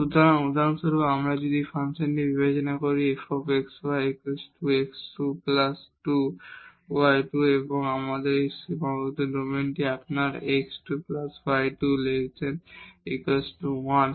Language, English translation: Bengali, So, for example, if we consider this function f x y is equal to x square plus 2 y square and we have this bounded domain your x square plus y square less than equal to 2 1